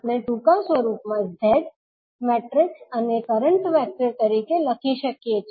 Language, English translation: Gujarati, We can write in short form as Z matrix and current vector